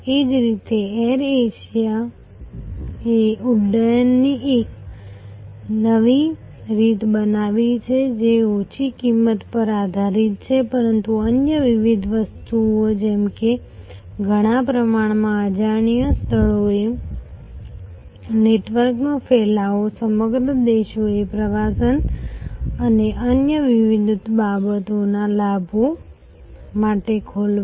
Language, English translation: Gujarati, Similarly, Air Asia has created a new way of flying that is of course, based on not only low cost, but different other things like a spread of network to many relatively unknown places, opening up whole countries to the benefits of tourism and various other things